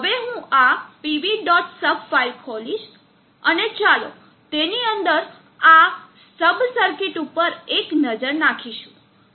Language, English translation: Gujarati, Sub file and let us have a look at the sub circuit inside it